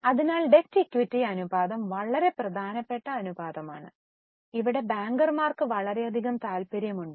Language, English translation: Malayalam, So, debt equity ratio is a very important ratio where the bankers are extensively interested